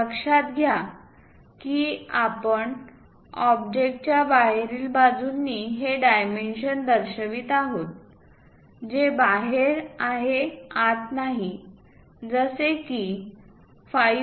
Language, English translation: Marathi, Note that, we are showing these dimensions outside of the object outside not inside something like we are not mentioning it something like this is 5